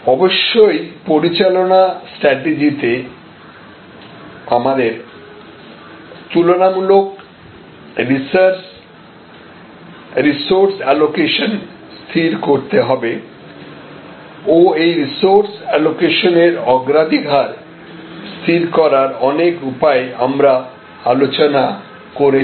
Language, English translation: Bengali, Obviously, in operating strategy we have to decide the comparative resource allocation and in this respect, we had discussed number of ways we can decide upon the priorities for resource allocation